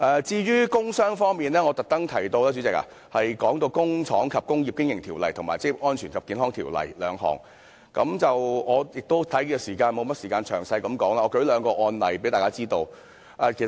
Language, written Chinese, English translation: Cantonese, 至於工傷方面，主席，我特別提及《工廠及工業經營條例》及《職業安全及健康條例》兩項條例，我也沒有時間詳細說明，但我想提出兩個案例，讓大家知道有關情況。, As regards industrial injuries President I particularly mentioned the Industrial Undertakings Ordinance and the Occupational Safety and Health Ordinance . I do not have time to go into the details but I wish to cite two cases so that Members can see the picture